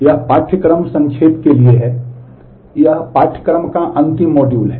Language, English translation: Hindi, This is for course summarization this is the last module of the course